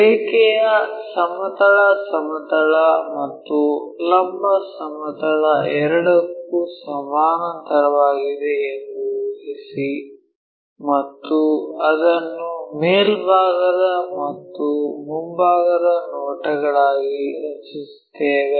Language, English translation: Kannada, Assume that the line is parallel to both horizontal plane and vertical plane and draw it is top and front views